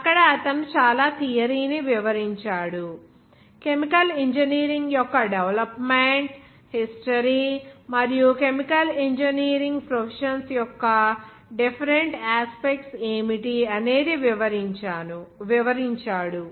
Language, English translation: Telugu, ” There he described a lot of theory, even the development history of chemical engineering and what are the different aspects of the professions of chemical engineering